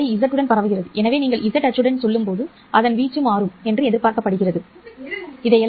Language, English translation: Tamil, The wave is propagating along z so its amplitude is expected to change as you go along z axis